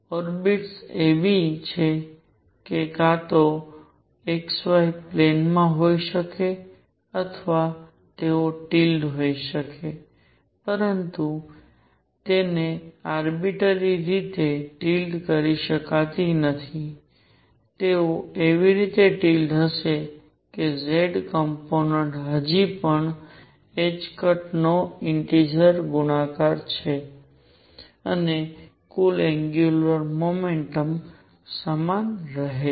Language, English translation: Gujarati, That the orbits are such that they could be either in the x y plane or they could be tilted, but they cannot be tilted arbitrarily they would be tilted such that the z component is still an integer multiple of h cross and the total angular momentum remains the same